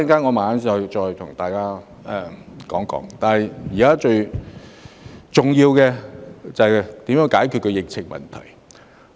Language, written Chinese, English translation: Cantonese, 我稍後再與大家談談，但現時最重要的，就是如何遏止疫情。, Let me discuss that later but the most important thing now is how to curb the spread of the coronavirus disease